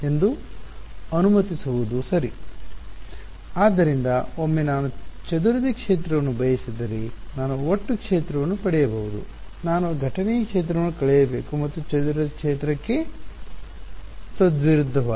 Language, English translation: Kannada, So, once I can get the total field if I want the scattered field I have to subtract of the incident field and vice versa for the scattered field vice right